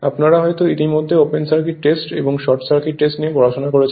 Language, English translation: Bengali, Already we have studied open circuit test and short circuit right